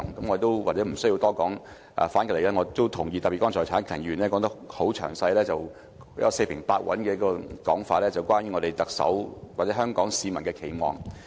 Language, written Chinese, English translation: Cantonese, 我對此或許不需要多說，反過來，我也同意這些說法，特別剛才陳克勤議員說得很詳細，四平八穩去提出關於特首或香港市民的期望。, Perhaps I do not have to elaborate on this anymore . Put it other way I agree with these remarks too especially the speech just made by Mr CHAN Hak - kan who has very carefully mentioned his expectations for the Chief Executive or the peoples wishes in detail